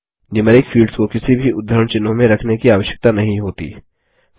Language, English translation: Hindi, NUMERIC fields need not be encased with any quotes